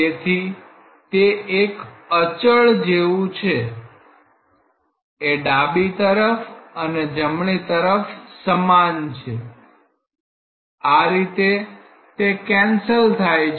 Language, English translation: Gujarati, So, it is just like a constant which is same in the left hand and in the right hand side that is how these two got cancelled